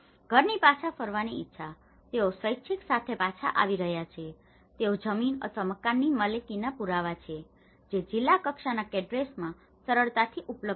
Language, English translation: Gujarati, Willingness of household to return, so however, they are coming back with voluntarily they are coming back, evidence of land or house ownership which was readily available in district level cadastres